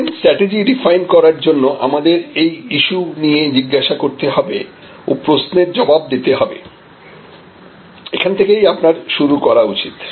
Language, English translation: Bengali, So, to define a CRM strategy we have to ask these issues and answer these questions, so this is where you should start